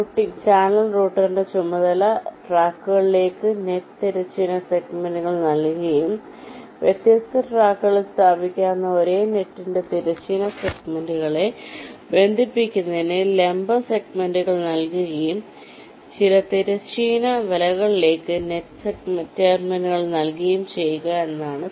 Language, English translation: Malayalam, so the task of the channel router will be to assign the horizontal segments of net to tracks and assign vertical segments to connect the horizontal segments of the same net, which which maybe placed in different tracks, and the net terminals to some of the horizontal net segments